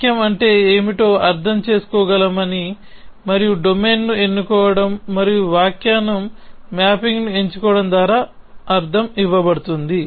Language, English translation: Telugu, Always saying is that we can interpret what does the sentence mean and the meaning is given by a choosing a domain and choosing an interpretation mapping